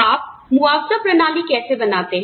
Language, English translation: Hindi, How do you design a compensation system